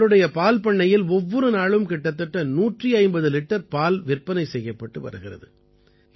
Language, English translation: Tamil, About 150 litres of milk is being sold every day from their dairy farm